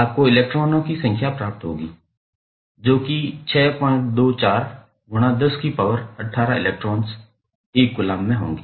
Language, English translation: Hindi, You will come to you will get number of electrons which would be there in 1 coulomb of charge